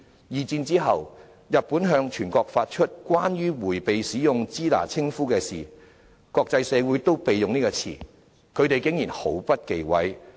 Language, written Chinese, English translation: Cantonese, 二戰後，日本向全國發出《關於迴避使用支那稱呼之事宜》，國際社會都避用這個詞，他們竟然毫不忌諱。, After the Second World War Japan issued a notice nationwide on matters on avoiding the use of the term Shina . While the international community has avoided using this term the duo had no scruples about this